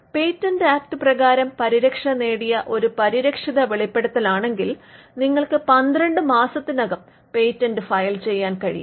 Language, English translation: Malayalam, If your disclosure is a protected disclosure under the Patents Act, then you can file a patent within 12 months